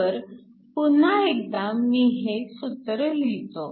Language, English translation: Marathi, So, once again let me write the expression